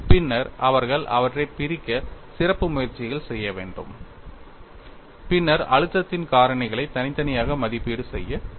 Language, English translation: Tamil, Then they have to do special efforts to segregate them and then evaluate the stress intensity factors separately